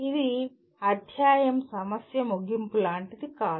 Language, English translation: Telugu, It is not like end of the chapter problem